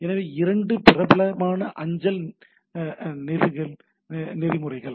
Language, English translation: Tamil, So, these are the 2 popular mail access protocols